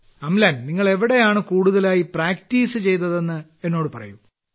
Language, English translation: Malayalam, Amlan just tell me where did you practice mostly